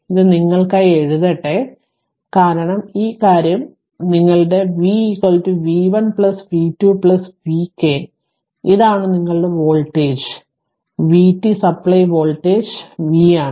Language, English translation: Malayalam, V is equal to v 1 plus v 2 plus v k plus v n right this is your what you call that voltage v this is the supply voltage v right